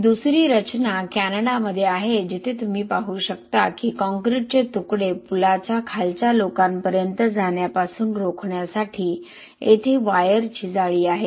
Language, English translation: Marathi, And another structure is in Canada where you can see that there is actually a wire mesh here is mainly to prevent the falling hazardous prevent the concrete pieces from following on to the people below the bridge